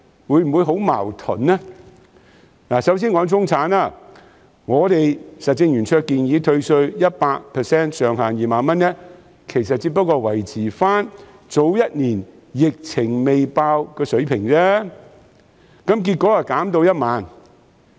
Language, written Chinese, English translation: Cantonese, 我首先說中產，我們實政圓桌建議退稅 100%， 上限2萬元，這只是維持去年爆發疫情前的水平，但結果被減至1萬元。, Let me first talk about the middle class . The Roundtable proposed a 100 % tax rebate with a ceiling of 20,000 which actually was the same level as that before the outbreak of the epidemic last year . It was however reduced to 10,000